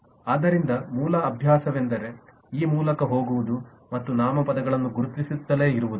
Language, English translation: Kannada, so the basic exercise is to actually go through this and keep on identifying the nouns